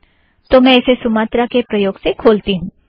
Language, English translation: Hindi, Open it using Sumatra